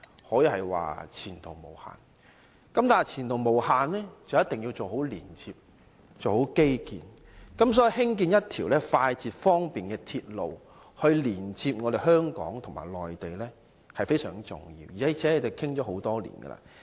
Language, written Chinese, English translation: Cantonese, 可是，要前途無限，便一定要做好連接和基建，因此興建一條快捷方便的鐵路連接香港和內地是非常重要的，而且這已討論多年。, However to enjoy such unlimited prospects proper connection and infrastructure are necessary . For this reason it is most important to build a fast and convenient railway linking Hong Kong with the Mainland . Moreover this has already been discussed for years